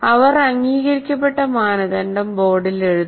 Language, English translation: Malayalam, And she writes the agreed criteria on the board